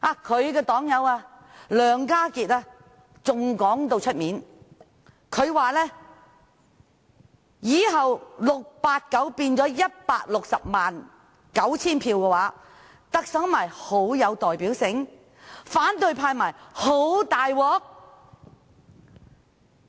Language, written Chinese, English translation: Cantonese, 他的黨友梁家傑還公開說，以後689票變成了 1,609 000票的話，特首不是很有代表性？反對派不是很"大鑊"？, Alan LEONG his fellow party member has even said openly that if 689 votes turn into 1 609 000 votes in the future the Chief Executive thus elected would be highly representative and would this be disastrous for the opposition camp?